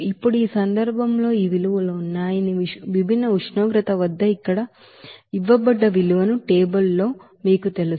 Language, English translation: Telugu, Now in this case incorporate you know the value in the table whatever it is given at different temperature that this values are there